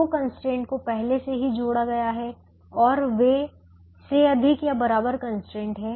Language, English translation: Hindi, the two constraints are already added and they are greater than or equal to constraint